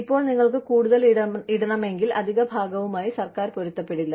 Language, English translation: Malayalam, Now, if you want to put in more, the government will not match, the additional part